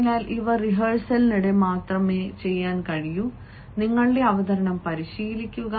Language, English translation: Malayalam, so when and these things can be done only during rehearsals rehearse your presentation